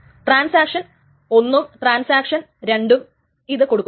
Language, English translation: Malayalam, So both transaction one does it and transaction two does it